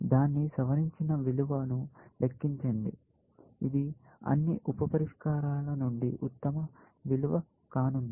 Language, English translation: Telugu, Compute its revised value, which is the best value from all the sub solutions, it has